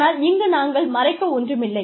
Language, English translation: Tamil, We are nothing to hide